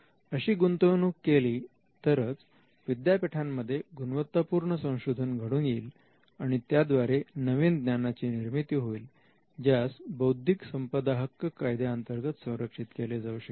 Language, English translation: Marathi, Only if that investment is made will universities be doing research and quality research of by which they could be new knowledge that comes out of that research, which could be protected by intellectual property rights